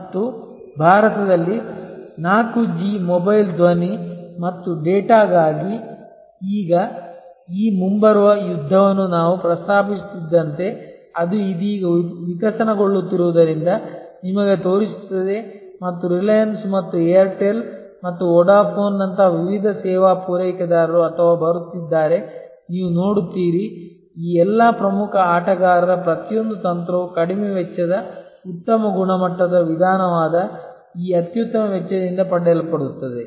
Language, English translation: Kannada, And as I was mentioning this coming battle for 4G mobile voice and data in India will show you as it is evolving right now and different service providers like Reliance and Airtel and Vodafone or coming, you will see that almost every strategy of all these major players will be derived out of this best cost that is low cost high quality approach